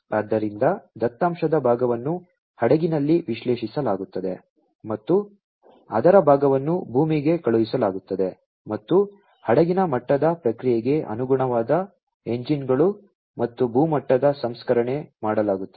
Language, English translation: Kannada, So, part of the data will be processed at will be analyzed at the vessel and part of it will be sent to the land, and corresponding engines for vessel level processing, and land level processing are going to be done